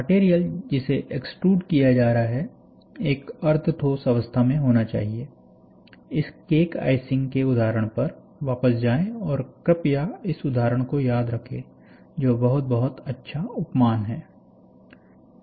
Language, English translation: Hindi, The material, that is being extruded must be in a semi solid state, go back to this icing example, and please remember this icing cake icing, which is very, very good analogy